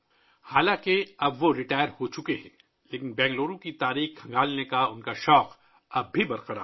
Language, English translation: Urdu, Though he is now retired, his passion to explore the history of Bengaluru is still alive